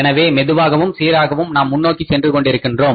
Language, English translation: Tamil, So, slowly and steadily we are moving forward